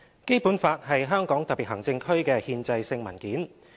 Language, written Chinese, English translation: Cantonese, 《基本法》是香港特別行政區的憲制性文件。, The Basic Law is the constitutional document of the Hong Kong Special Administrative Region HKSAR